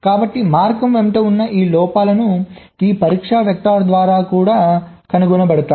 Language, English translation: Telugu, so all this faults along the path will also be detected by this test vector